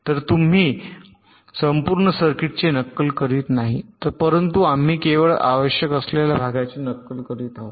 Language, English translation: Marathi, right, so you are not simulating the whole circuit, but we are simulating only those parts which are required